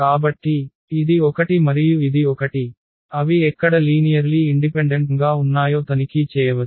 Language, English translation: Telugu, So, this one and this one, one can check where they are linearly independent